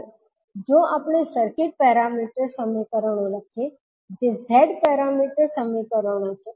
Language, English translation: Gujarati, Now, if we write the circuit parameter equations that is Z parameter equations